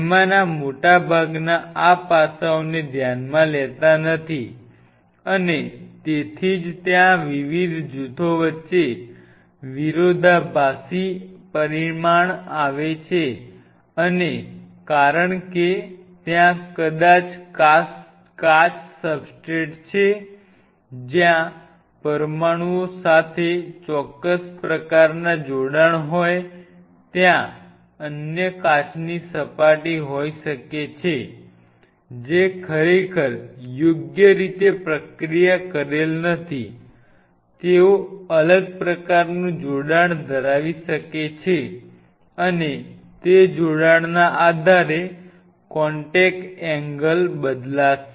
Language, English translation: Gujarati, Most of them do not take these aspects into account and that is where comes a conflicting result between different groups because there maybe glass substrate, where there be certain kind of attachment of these molecules there can be other glass surface, which has not been really a kind of processed properly they may have a different kind of attachment and based on those attachment the contact angle will change